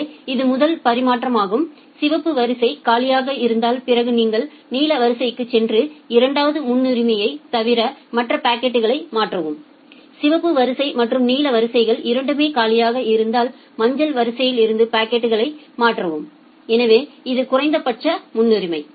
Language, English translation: Tamil, So, this is the first transfer if the red queue is empty then only you go to the blue queue and transfer the packets besides the second priority and if both the red queue and the blue queues are empty then you transfer the packets from the yellow queue